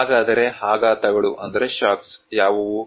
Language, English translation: Kannada, So what are the shocks